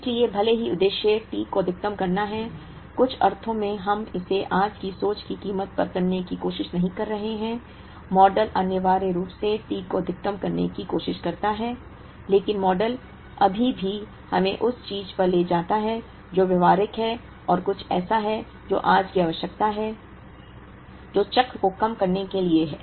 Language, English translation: Hindi, So, even though the objective is to maximize T, in some sense we are not trying to do it at the expense of today’s thinking, the model essentially tries to maximize T, but the model still takes us to something that is practical and something that is the requirement of today, which is to minimize the cycle